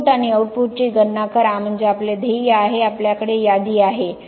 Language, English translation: Marathi, Calculate the inputs and outputs so we have the goal, we have the inventory